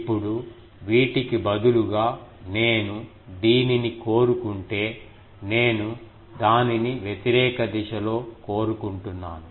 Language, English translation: Telugu, Now, if I want it instead of these, I want it in the opposite direction